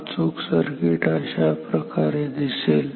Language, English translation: Marathi, The correct circuit should look like this